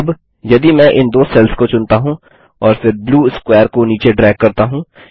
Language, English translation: Hindi, Now If I select these two cells and then drag the blue square down let me move this here